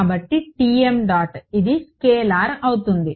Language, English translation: Telugu, So, Tm dot this is going to be a scalar